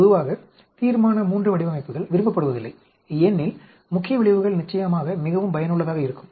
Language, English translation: Tamil, Generally resolutions III designs are not liked because the main effects are of course are very useful